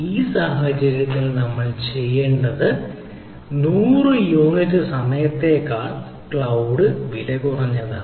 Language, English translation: Malayalam, so what we need to do in this situation is cloud cheaper than owing for a period of hundred unit times, right